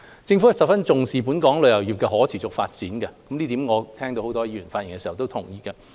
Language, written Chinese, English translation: Cantonese, 政府十分重視本港旅遊業的可持續發展，這點我聽到很多議員在發言的時候都同意。, The Government attaches much importance to the sustainable development of the travel industry as many Members have agreed in their speeches